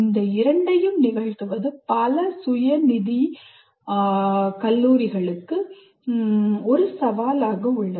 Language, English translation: Tamil, So making these two happen is a challenge for many of these self financing colleges